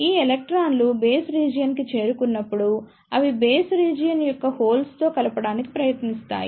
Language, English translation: Telugu, When these electron reaches to the base region, they will try to combine with the holes of the base region